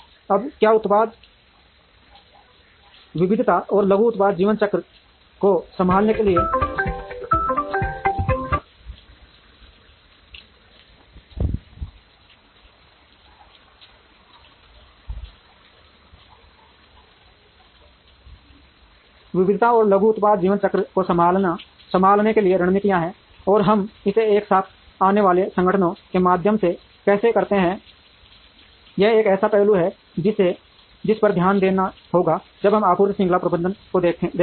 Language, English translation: Hindi, Now, are there strategies to handle product variety and short product life cycle, and how do we do it through organizations coming together is an aspect that has to be looked at when we look at supply chain management